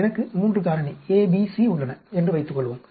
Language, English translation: Tamil, Suppose, I have 3 factor A, B, C